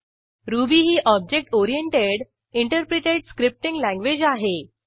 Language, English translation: Marathi, Ruby is an object oriented, interpreted scripting language